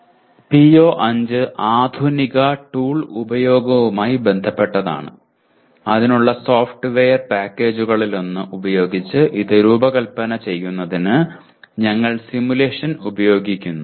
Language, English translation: Malayalam, PO5 is related to modern tool usage where we use possibly simulation for designing this using one of the software packages for that